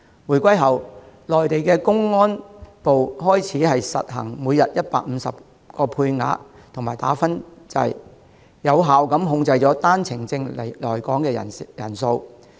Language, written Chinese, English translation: Cantonese, 回歸後，內地公安部開始實行每天批出150個配額及"打分制"，有效控制單程證來港人數。, After the reunification the Mainlands Ministry of Public Security began to grant the 150 daily quota and implemented a point - based system which has effectively kept the number of OWP holders arriving Hong Kong under control